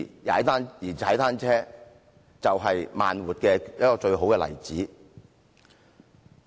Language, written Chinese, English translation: Cantonese, 而踏單車便是"慢活"的一個最佳例子。, And cycling is the best example of slow living